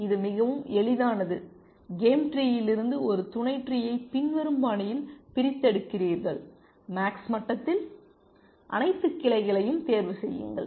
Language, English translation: Tamil, It is very simple, you extract a sub tree from the game tree in the following fashion that at max level choose all branches